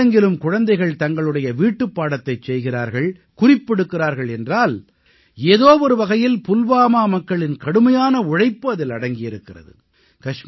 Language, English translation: Tamil, Today, when children all over the nation do their homework, or prepare notes, somewhere behind this lies the hard work of the people of Pulwama